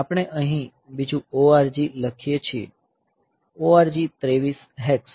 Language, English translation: Gujarati, So, we write another ORG here; ORG 23 hex